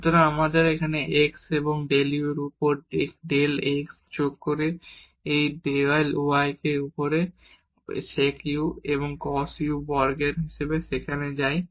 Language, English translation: Bengali, So, we get x and del u over del x plus this y del u over del y and this sec u goes there as a cos square u